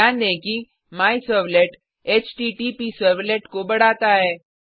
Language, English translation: Hindi, Note that MyServlet extends the HttpServlet